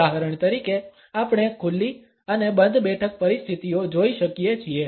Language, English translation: Gujarati, We can for instance look at the open and close sitting situations